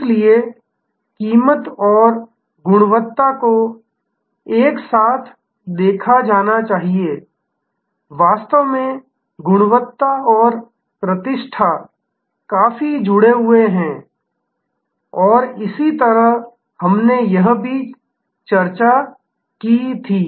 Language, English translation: Hindi, So, price and quality should be seen together, in fact, quality and reputation are quite connected this also we had discussed and so on